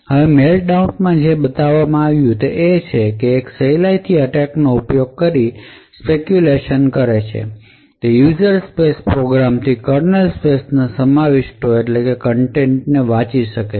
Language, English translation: Gujarati, Now what Meltdown showed is that with a simple attack exploiting that features of what speculation actually provides a user space program would be able to read contents of the kernel space